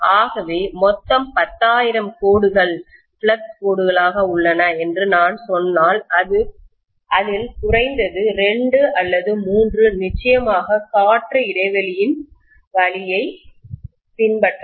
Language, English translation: Tamil, So if I say totally 10,000 lines are there on the whole as flux lines, at least 2 or 3 can definitely be following the path through the air gap